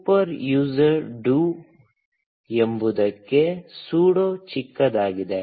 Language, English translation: Kannada, Sudo is short for super user do